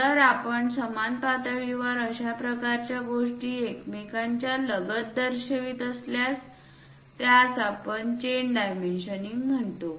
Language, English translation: Marathi, This kind of next to each other if we are showing at the same level at the same level such kind of things what we call chain dimensioning